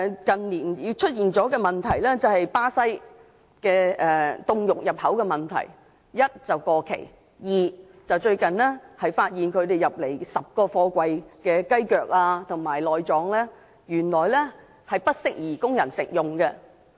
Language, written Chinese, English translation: Cantonese, 近年亦出現巴西凍肉入口的問題：第一是過期；第二是最近發現從巴西入口的10個貨櫃的雞腳和內臟原來不宜供人食用。, Also there have been problems with imported frozen meat from Brazil in recent years . Not only were some of them past expiry recently 10 containers of chicken feet and offal imported from Brazil were found unsuitable for human consumption